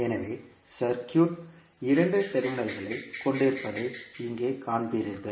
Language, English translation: Tamil, So here you will see that circuit is having two terminals